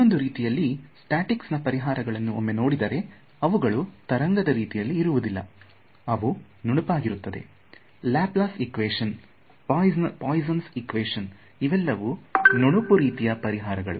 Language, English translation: Kannada, On the other hand, if you look at the solutions in statics they are not wave like they are smooth solutions know; Laplace equation, Poisson’s equation they are not wave like they are smooth